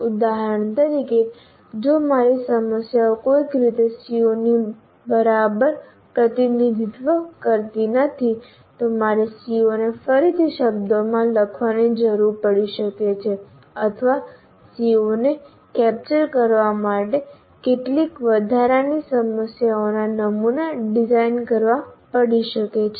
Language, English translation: Gujarati, For example, if my problems do not somehow is not exactly representing the CO, I may be required to reword the CO or I may have to redesign some additional sample problems to really capture the CO that I have in mind